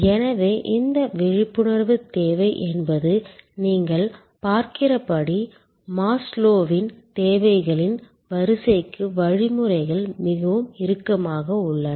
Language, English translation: Tamil, So, as you can see this need arousal, mechanisms are quite tight to the Maslow’s hierarchy of needs